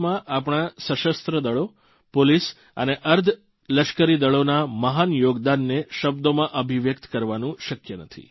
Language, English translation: Gujarati, One falls short of words in assessing the enormous contribution of our Armed Forces, Police and Para Military Forces in the strides of progress achieved by the country